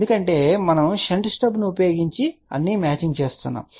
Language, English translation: Telugu, Because we are doing all the matching using shunt stub